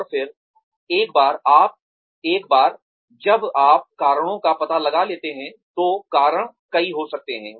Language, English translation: Hindi, And then, once you have found out the reasons, the reasons could be several